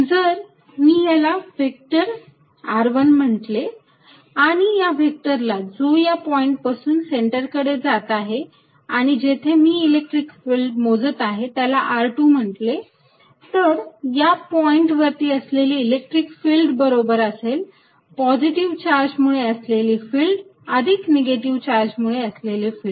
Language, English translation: Marathi, If I call this vector r1 and call this vector from the point where I am calculating the electric field towards the centre r2, then the electric field at this point is equal to some due to the field due to the positive charge plus that due to the negative charge